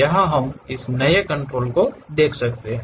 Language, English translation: Hindi, Here we can see this New control